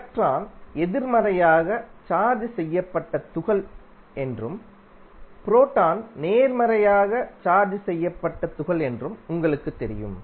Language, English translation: Tamil, You know that the electron is negative negative charged particle while proton is positive charged particle